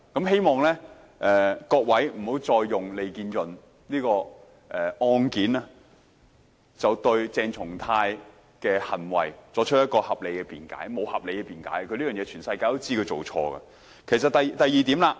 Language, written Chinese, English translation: Cantonese, 希望各位不要再以利建潤案件來為鄭松泰議員的行為作合理辯解，他的行為沒有合理辯解的，全世界都知道他這種行為是錯誤的。, I hope all Honourable colleagues will stop using the case of LEE Kin - yun as a valid defence for Dr CHENG Chung - tais behaviour . There is no valid defence for his behaviour as the entire world knows his actions were wrong